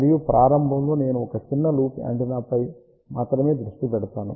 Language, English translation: Telugu, And in the beginning I will focus on only a small loop antenna